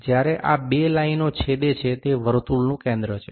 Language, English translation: Gujarati, Now, where these two lines coincide is the center